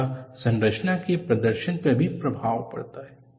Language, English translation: Hindi, Also has an influence on the performance of the structure